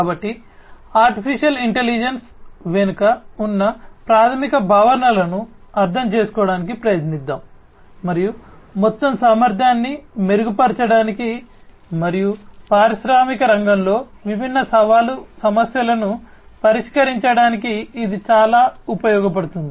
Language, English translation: Telugu, So, let us try to understand the basic concepts behind AI and how it can be used to improve the overall efficiency and address different challenging issues in the industrial sector